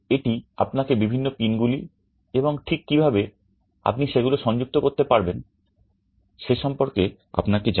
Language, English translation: Bengali, This tells you about the different pins and exactly how you can connect them